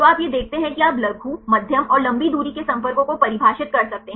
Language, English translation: Hindi, You see this one you can define the short, medium and long range contacts